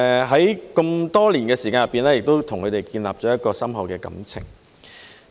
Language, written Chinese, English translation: Cantonese, 在這麼多年來，我與他們建立了深厚的感情。, Over so many years I have developed deep bonds with them